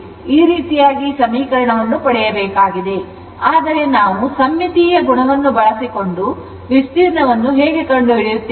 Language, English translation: Kannada, So, in this way you have to get the equation, but remember from the symmetry our interest to get what is the area right how we will find out